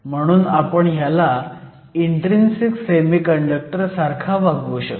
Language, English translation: Marathi, So, We can again treat this as an intrinsic semiconductor